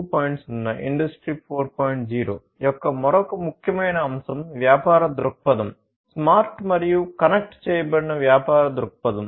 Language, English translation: Telugu, 0 is basically the business perspective; the Smart and Connected Business Perspective